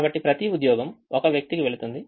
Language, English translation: Telugu, so each job goes to one person